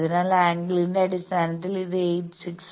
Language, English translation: Malayalam, So, angle wise it will come as 86